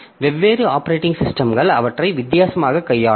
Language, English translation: Tamil, So, this is, so different operating systems will handle them differently